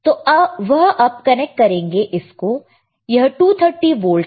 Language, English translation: Hindi, Now he will again connect it to the same one, this is 230 volts, all right